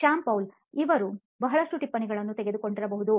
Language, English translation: Kannada, Shyam Paul M: He might be taking a lot of notes